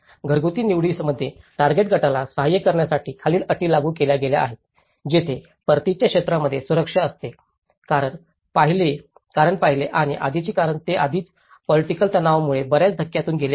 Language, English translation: Marathi, In the household selection, in assisting target group one, the following prerequisites has been applied where the security in the area of return, because the first and prior most is because already they have been undergoing a lot of shocks because of the political stresses